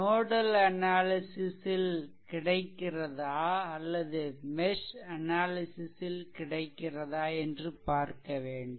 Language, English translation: Tamil, So, where you will go for nodal analysis and where will go for mesh analysis look